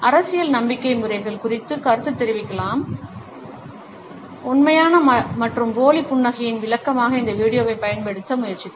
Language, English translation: Tamil, Without commenting on the political belief systems, I have tried to use this video as an illustration of genuine and fake smiles